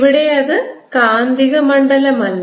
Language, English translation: Malayalam, it is not the magnetic field